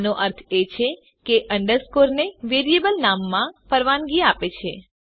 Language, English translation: Gujarati, Which means an underscore is permitted in a variable name